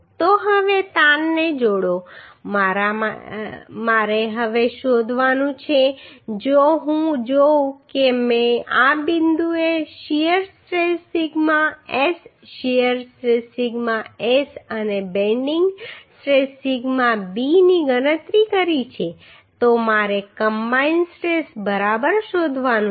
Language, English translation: Gujarati, So now combine stress I have to find out now if I see I have calculated at this point the shear stress sigma S shear stress sigma S and bending stress sigma b so I have to find out the combine stress right